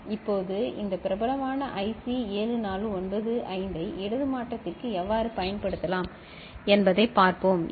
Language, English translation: Tamil, Now, let us see this popular IC 7495 how it can be used for left shift also ok